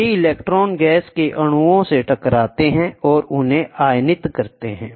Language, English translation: Hindi, These electrons collide with the gas molecules and ionize them